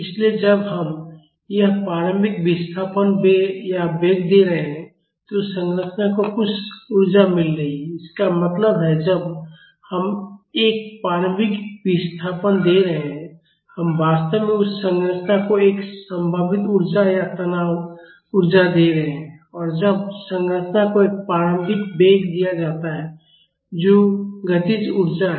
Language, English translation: Hindi, So, when we are giving this initial displacement or velocity the structure is getting some energy; that means, when we are giving a initial displacement, we are actually giving that structure a potential energy or strain energy and when an initial velocity is given to the structure that is a kinetic energy